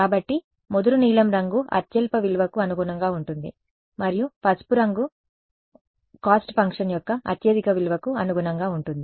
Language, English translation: Telugu, So, dark blue color corresponds to lowest value and yellow colour corresponds to highest value of cost function ok